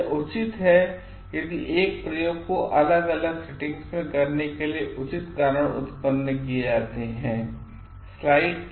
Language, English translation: Hindi, It is only justified if proper reasons are produced for conducting the same experiment in a different settings